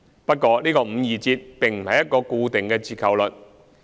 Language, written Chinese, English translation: Cantonese, 不過，這個五二折並不是一個固定的折扣率。, However the 52 % discount will not be a fixed discount